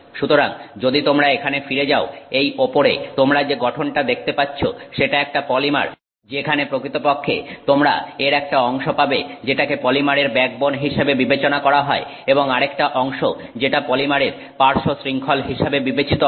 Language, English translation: Bengali, So, if you go back here, this structure that you see on top is a, you know, a polymer where you actually have one part of it which is considered like the backbone of the polymer and another part which is considered the side chain of the polymer